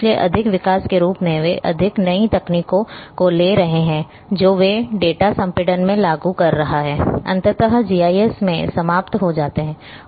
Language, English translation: Hindi, So, more developments as they are taking place more new technologies which they are implementing in data compression ultimately ends up in GIS